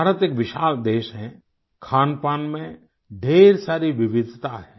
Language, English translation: Hindi, Friends, India is a vast country with a lot of diversity in food and drink